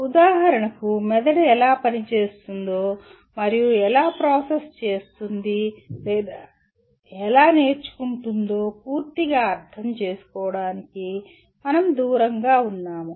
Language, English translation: Telugu, For example we are far from fully understanding how brain functions and how does it process or how does it learn